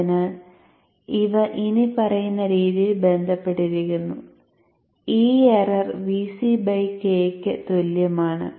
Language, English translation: Malayalam, So they are related in this following manner E error is equal to VC by K rather straightforward relationship